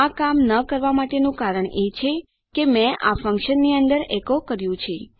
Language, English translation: Gujarati, The reason this is not working is because Ive echoed this inside a function